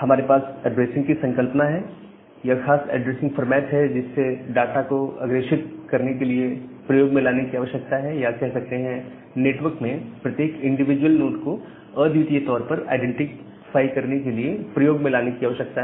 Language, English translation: Hindi, So, we have a addressing concept, a particular addressing format that need to be used to forward the data packet or that need to be used to uniquely identify every individual node in the network